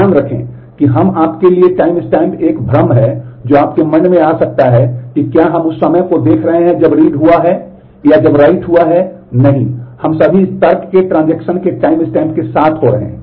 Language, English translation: Hindi, Mind you here we the timestamp one confusion that may come to your mind is are we looking at the exact time when the read has happened or when the write has happened, no, we are all of this reasoning is happening with the timestamp of the transaction